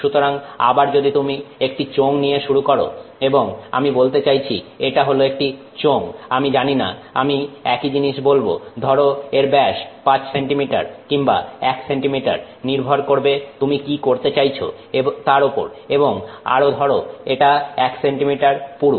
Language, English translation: Bengali, So, again if you start with the cylinder and let's say this is some I mean say cylinder, I don't know, let's say, same thing we will say 5 cm in diameter and or even one centimeter in diameter it depends on what you are trying to do and say one centimeter thick